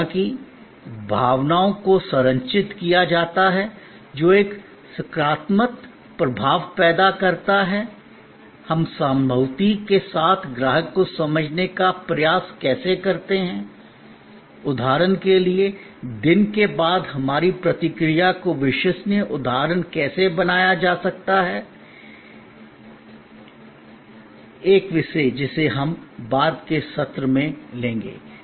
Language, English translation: Hindi, However, emotions are structured, what creates a positive impression, how do we strive to understand the customer with empathy, how our response can be made reliable instance after instance, day after day, a topic that we will take up over the subsequent sessions